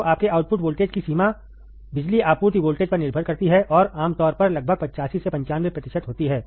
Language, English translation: Hindi, So, the range of your output voltage depends on the power supply voltage, and is usually about 85 to 95 percent